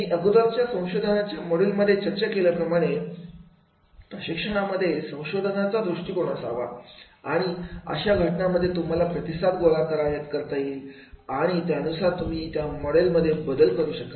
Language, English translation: Marathi, I have discussed this in my earlier module of the research, research approach in training and then in that case you will gather the feedback and then you can make the changes in your model